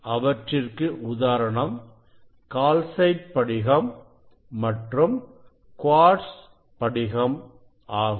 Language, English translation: Tamil, these two crystal for these calcite crystal and the quartz crystal